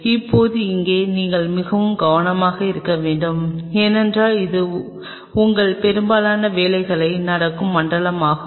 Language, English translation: Tamil, Now here you have to be really careful because this is the zone where most of your work will be happening